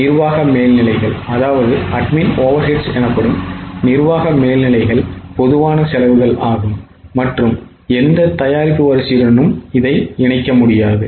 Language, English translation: Tamil, Admin over eds are common costs and cannot be linked to any product line